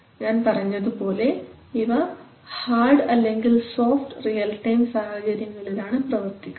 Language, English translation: Malayalam, So and they work as I said in hard, soft hard and soft real time scenario